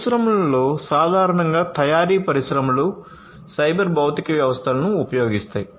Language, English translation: Telugu, In the industry, in general, manufacturing industries will use cyber physical systems